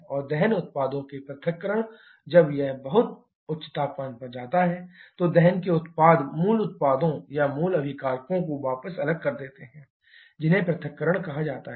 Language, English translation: Hindi, And the dissociation of combustion products when it goes to very high temperature the products of combustion and disassociate back to the original products or original reactants that is called disassociation